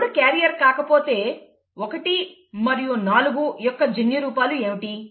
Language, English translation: Telugu, If 3 is not a carrier, if this is given, what are the genotypes of 1 and 4